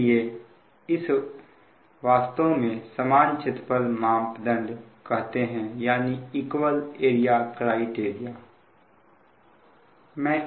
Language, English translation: Hindi, so this is actually is called equal area criterion